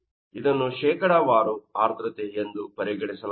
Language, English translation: Kannada, So, this is your percentage of relative humidity